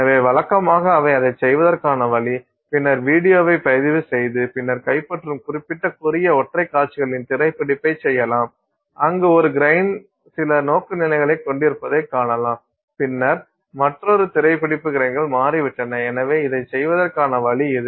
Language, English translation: Tamil, So, usually the way to do it would be then to record the video and then you can do screen capture of specific, you know, short single scenes that you capture where you can see one set of grains holding some orientation and then another one screen capture where the grains have shifted